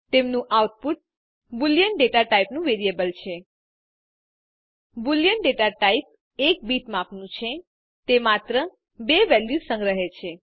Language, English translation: Gujarati, Their output is a variable of boolean data type A boolean data type is of size 1 bit It stores only two values